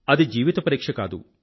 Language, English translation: Telugu, But it is not a test of your life